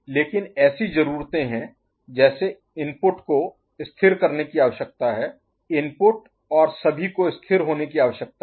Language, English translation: Hindi, But there are conditions like the input need to be stable, input need to be stable and all ok